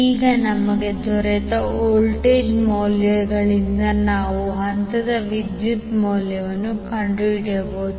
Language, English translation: Kannada, Now from the voltage values which we got, we can find out the value of the phase current